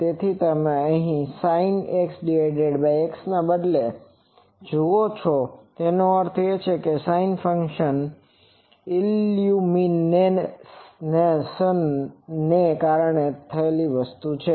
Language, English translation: Gujarati, So, you see only here instead of a sin X by X that means, sine function this is the new thing due to the illumination